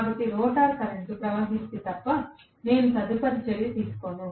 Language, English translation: Telugu, So, unless rotor current flows, I am not going to have any further action